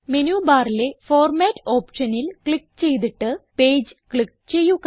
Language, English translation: Malayalam, Click on the Format option in the menu bar and then click on Page